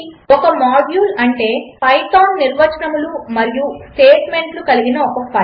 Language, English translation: Telugu, A module is simply a file containing Python definitions and statements